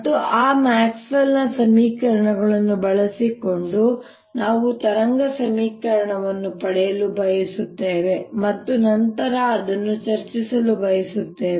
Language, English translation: Kannada, in this lecture i want to use them the way maxwell has written it and using those maxwell's equations we want to derive a wave equation and then discuss it further